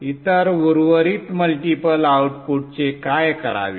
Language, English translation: Marathi, What to do with the other remaining multiple outputs